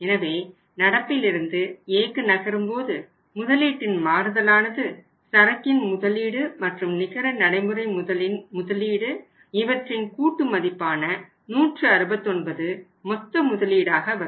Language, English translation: Tamil, So, it means when you move from current to A change in the investment total investment that is a investment in inventory + investment in the net working capital will be 169